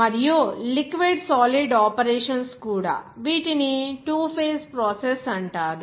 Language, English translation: Telugu, And also, liquid solid operations also, these are called a two phase process